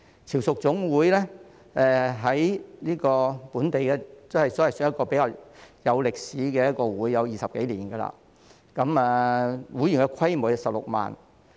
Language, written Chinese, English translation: Cantonese, 潮屬總會是本地一個歷史悠久的同鄉會，已有20多年歷史，會員人數達16萬。, FHKCCC is a local fellow townsmen association with a long - standing history of over 20 years and 160 000 members